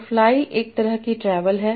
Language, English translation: Hindi, So fly is a kind of travel